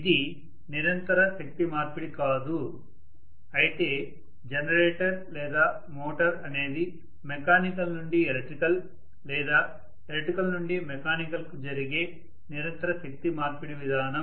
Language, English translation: Telugu, It is not a continuous energy conversion whereas generator or motor is a continuous energy conversion mechanism from electrical to mechanical or mechanical to electrical